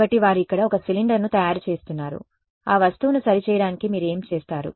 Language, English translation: Telugu, So, they making a cylinder over here all of this is what you would do to make the object ok